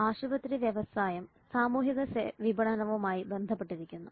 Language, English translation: Malayalam, Hospital industry is related with social marketing